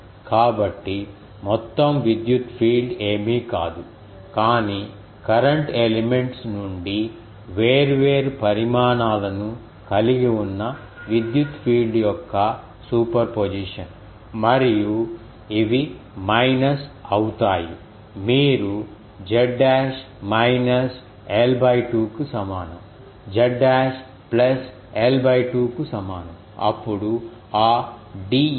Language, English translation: Telugu, So, total electric field is nothing, but superposition of electric field from all the current elements having different sizes, and these will be minus you can say z dash is equal to minus l by 2, with z dash is equal to plus l by 2, then that de theta ok